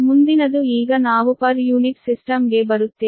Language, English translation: Kannada, next is: now we will come to the per unit system, right